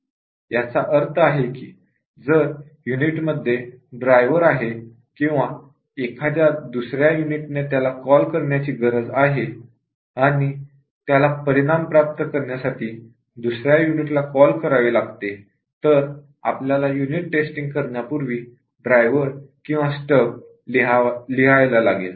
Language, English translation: Marathi, What it really means is that if the unit has a driver or some other unit needs to call it, and it needs to call some other units to get the result then we have to write the driver in stub before we can do the unit testing